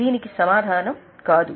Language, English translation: Telugu, Mostly the answer is no